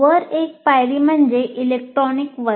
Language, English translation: Marathi, Then one notch above is the electronic classroom